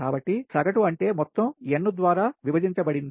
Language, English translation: Telugu, so average means sum all divided by n